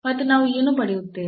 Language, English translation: Kannada, And what do we get